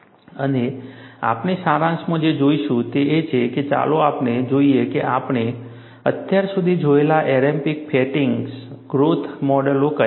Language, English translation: Gujarati, And what we will say is, in summary, let us look at, what are the empirical fatigue growth models we have seen so far